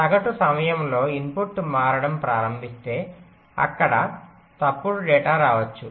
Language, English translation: Telugu, if the input starts changing in the mean time, then there can be wrong data getting in